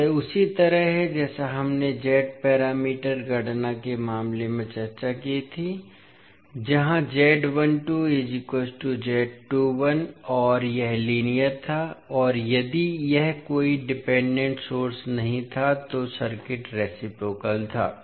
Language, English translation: Hindi, So this is similar to what we discussed in case of Z parameters calculation where Z 12 is equal to Z 21 and it was linear and if it was not having any dependent source, the circuit was reciprocal